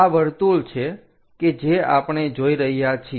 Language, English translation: Gujarati, This is the circle what we are going to see